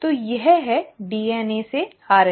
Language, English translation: Hindi, So that is DNA to RNA